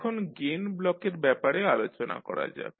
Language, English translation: Bengali, Now, let us talk about the Gain Block